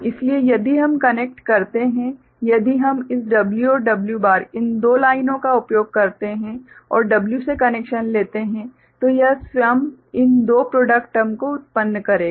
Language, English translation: Hindi, So, if we connect, if we use this W and W bar these two lines and take connection from W, so that itself will generate two of these product terms